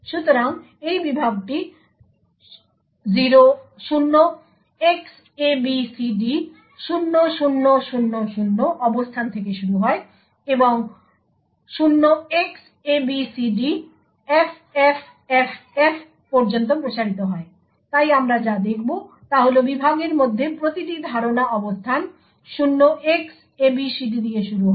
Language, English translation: Bengali, So this segment starts at the location 0Xabcd0000 and extends up to 0Xabcdffff, so what we would see is that every memory location within the segment starts with 0Xabcd